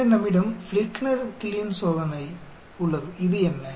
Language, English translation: Tamil, Then we have the Fligner Killeen test, what is this